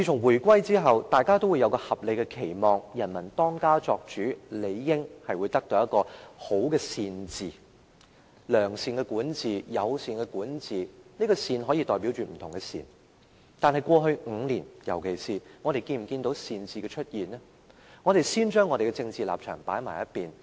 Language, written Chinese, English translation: Cantonese, 回歸後，大家也會有合理的期望，由人民當家作主，理應得到善治——良善的管治、友善的管治，這個"善"字可以代表不同的善，但過去5年，我們有否看到善治出現呢？, Since the reunification we have had reasonable expectations that the people will become the master of their own house and enjoy good governance―good in the sense of being virtuous and friendly . The word good can denote goodness in different aspects . However in the past five years did we see any good governance?